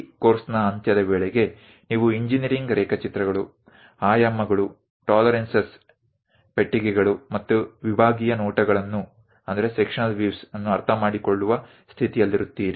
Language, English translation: Kannada, End of the course you will be in a position to understand from engineering drawings, the dimensions, tolerances, boxes and sectional views